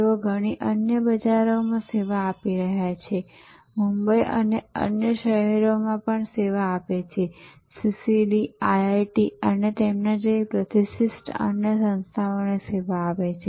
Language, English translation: Gujarati, So, but this served many markets, this serve very up market in Bombay, this serve business market in other cities, CCD serves, institutions like IIT’s and many other locations